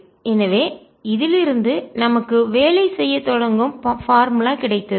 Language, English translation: Tamil, so now we got an working formula with which we now start working